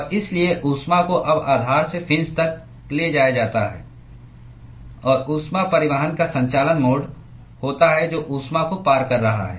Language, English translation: Hindi, And so, the heat is now carried from the base to the fin and there is conduction mode of heat transport which is carrying heat across